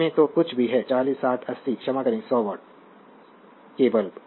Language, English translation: Hindi, Whatever you see in that your what you call 40, 60, your 80 sorry 100 watt bulbs